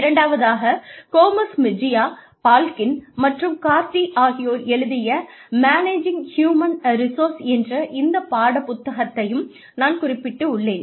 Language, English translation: Tamil, This is a book called, Managing Human Resources, by Gomez Mejia, Balkin and Cardy